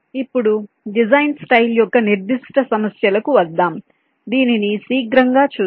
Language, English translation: Telugu, coming to the design style specific issues, let us have a quick look at this